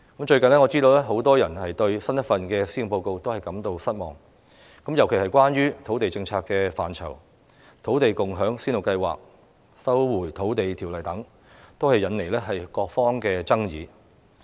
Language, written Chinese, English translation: Cantonese, 最近，我知道很多人對新一份施政報告感到失望，尤其是關於土地政策的範疇：土地共享先導計劃、《收回土地條例》等，均引來各方爭議。, Recently I understand that many people are disappointed by the latest Policy Address in particular with regard to the land policy such as the Land Sharing Pilot Scheme and the Lands Resumption Ordinance which aroused arguments in various quarters of society